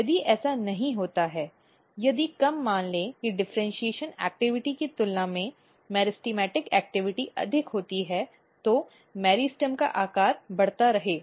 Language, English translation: Hindi, If this does not happens, if let us assume that meristematic activity is more than the differentiation activity then the meristem size will keep on increasing